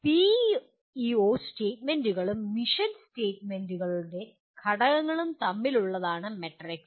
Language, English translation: Malayalam, The matrix is between PEO statements and the elements of mission statements